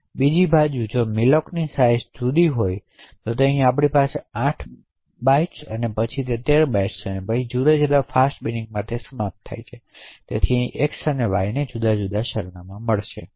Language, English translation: Gujarati, Now on the other hand if the malloc sizes are different for example here we have 8 bytes and then 13 bytes then they end up in different fast bin thus over here x and y would get different addresses